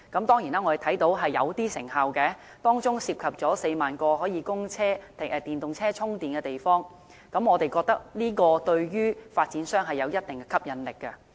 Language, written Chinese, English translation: Cantonese, 當然我們看到是頗有成效的，當中涉及4萬個可供電動車充電的車位，我們認為這對於發展商有一定吸引力。, Of course as we can see the measure has been quite effective . Some 40 000 parking spaces with charging facilities installed for EVs are now available . We hold that this measure is quite appealing to property developers